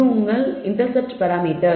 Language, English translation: Tamil, This is your intercept parameter